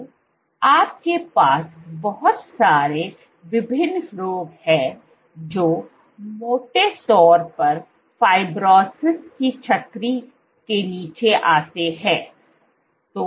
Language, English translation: Hindi, So, you have a host of different diseases which broadly come under the umbrella of fibrosis